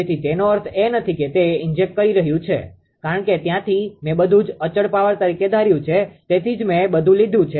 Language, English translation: Gujarati, So, that does not mean that it is injecting although from the because there I have treated everything as a constant power that is why I have taken everything right